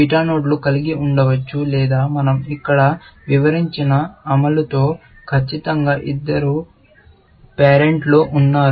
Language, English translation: Telugu, Beta nodes may have or in the implementation that we have described here, have exactly two parents